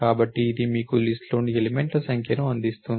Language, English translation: Telugu, So, it is gives you the number of elements in the list